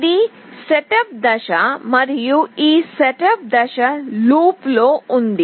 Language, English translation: Telugu, This is setup phase and this is the loop